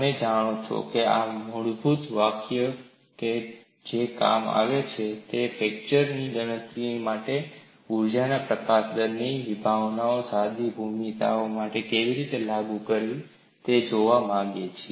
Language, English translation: Gujarati, These are basic expressions which would come in handy, when we want to look at how to apply the concept of energy release rate for fracture calculation, for simple geometries